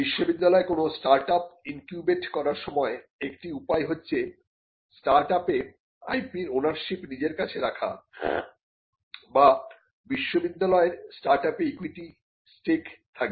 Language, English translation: Bengali, So, when a university incubates a startup, it owns the IP in the startup that is one way to do it or the university will own equity stakes in the startup